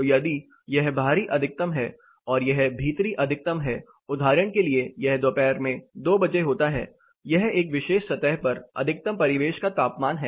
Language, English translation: Hindi, So, if this is outside maximum, this is a inside maximum, this for example happens at 2 o’clock in the afternoon, this is a ambient maximum on a particular surfaces